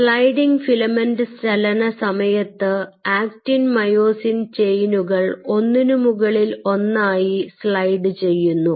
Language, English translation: Malayalam, so during sliding filament motion, it is the actin and myosin chains are sliding over one another